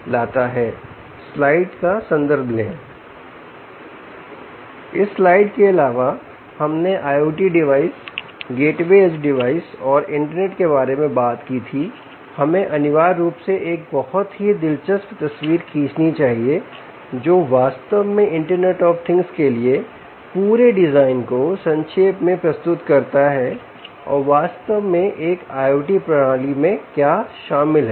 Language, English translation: Hindi, which brings us to a very important part: that, apart from this slide that we spoke about i o t devices, gateway edge devices and internet, we must essentially draw a very, very interesting ah picture which actually summarises the whole of the design for internet of things and, in fact, what an i o t system actually comprises of